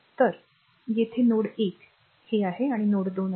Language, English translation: Marathi, So, and ah at this is their node 1 this is node 2